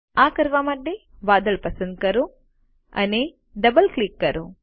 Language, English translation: Gujarati, To do so, select the cloud and double click